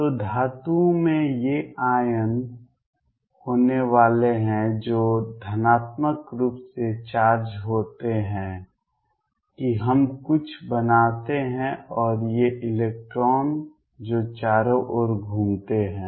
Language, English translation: Hindi, So, metals are going to have these irons which are positively charged that we make a few and these electrons which are delocalized moving all around